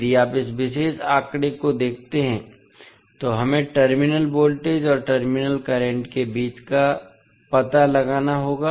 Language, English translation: Hindi, If you see this particular figure, we need to find out the relationship between terminal voltage and terminal current